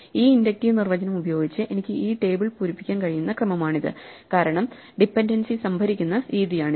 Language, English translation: Malayalam, This is the order in which I can fill up this table using this inductive definition because this is the way in which the dependency is stored